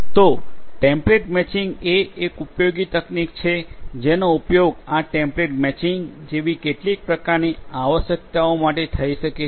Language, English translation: Gujarati, So, template matching is a useful technique that could be used for some kind of necessities like this template